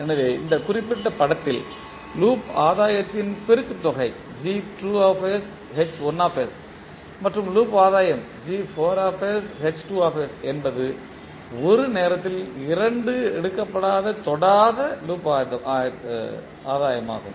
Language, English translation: Tamil, So in this particular figure the product of loop gain that is G2 and H1 and the loop gain G4s2 is the non touching loop gain taken two at a time